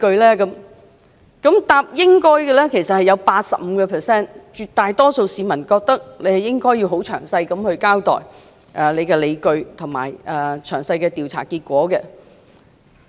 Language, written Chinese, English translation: Cantonese, "認為"應該"的人佔 85%， 即絕大多數市民認為司長應該詳細交代所持理據和詳細的調查結果。, 85 % of the respondents considered it necessary meaning that the vast majority of the people in Hong Kong think that the Secretary should explain in detail her rationale and provide detailed investigation results